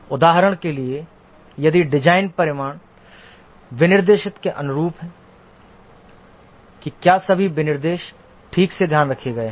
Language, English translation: Hindi, For example, if the design results are consistent with the specification, whether all specifications have been taken care properly